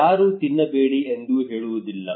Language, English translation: Kannada, Nobody would tell you do not eat